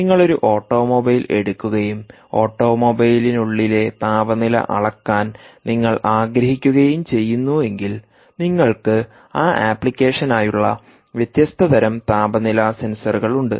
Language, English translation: Malayalam, if you take ah an automobile and you want to measure the temperature of within an automobile, uh, you have different types of temperature sensors for that ah um application